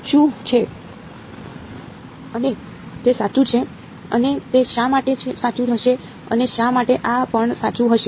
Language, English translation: Gujarati, What is and it is correct and why would that be correct and why would this also be correct